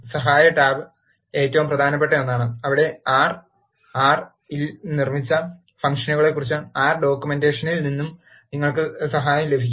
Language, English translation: Malayalam, The Help tab is a most important one, where you can get help from the R Documentation on the functions that are in built in R